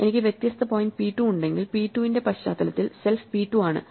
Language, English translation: Malayalam, If I have different point p 2 in the context of p 2, self is p 2